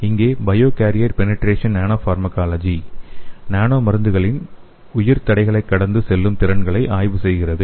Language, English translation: Tamil, Here the bio barrier penetration nanopharmacology studies the capabilities of nanodrugs to pass through the bio barriers